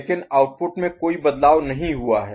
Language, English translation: Hindi, But no change in the output has taken place